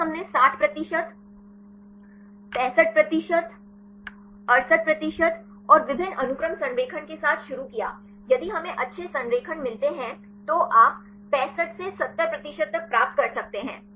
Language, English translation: Hindi, First we started with a 60 percent, 65 percent, 68 percent and the multiple sequence alignment; if we get good alignments, you can get up to 65 to 70 percent